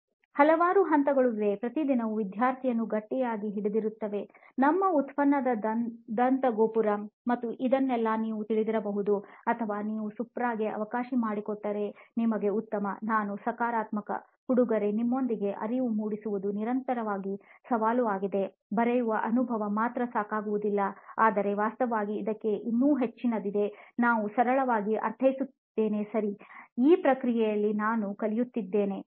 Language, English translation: Kannada, So then there are several levels, layers around which a student is grappling with on a daily basis and this you could not have been in your ivory tower of you know product design and all that or if you let Supra be, you would have just been a great, I am positive, but with you guys supplying the insights is constantly being challenged to say okay writing experience alone is not enough, but actually there is far more to this, I get I mean not to keep punning on him but that is one way to do it, okay nice I am learning as well in this process, okay